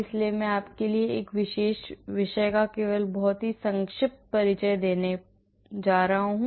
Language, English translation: Hindi, So, I am just going to have only very faster brief introduction to this particular topic for you,